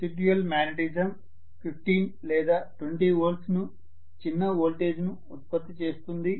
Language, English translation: Telugu, Residual magnetism let us say is producing a small voltage of 15 or 20 volts